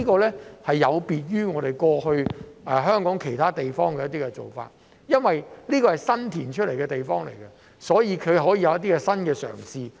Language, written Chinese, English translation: Cantonese, 這有別於香港其他地方過去的一些做法，因為這是新填海得來的地方，所以可以有一些新的嘗試。, This is different from the past practices in other parts of Hong Kong . As this is a new area created by reclamation there can be some new attempts